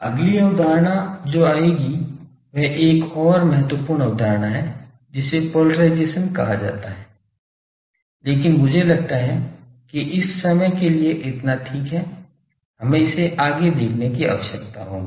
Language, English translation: Hindi, The next concept that will come is another important concept that is called Polarization, but I think for this time is up so we will need to see it in the next one